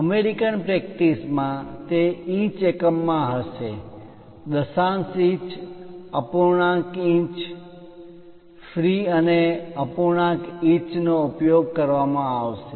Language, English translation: Gujarati, In American practice, it will be in terms of inches, decimal inches, fractional inches, feet and fractional inches are used